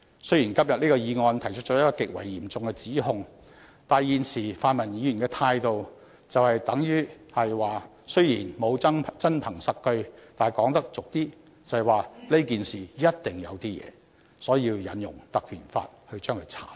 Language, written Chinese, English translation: Cantonese, 雖然今天的議案提出了一項極為嚴重的指控，但現時泛民議員的態度就是，雖然沒有真憑實據，但是——說得粗俗一點——這件事一定"有啲野"，所以要引用《條例》作出徹查。, The allegation in the motion today is very serious but the stance of pan - democratic Members is that despite the absence of any concrete evidence the Ordinance must be invoked to inquire into the incident because there must be something fishy―this word may be a bit vulgar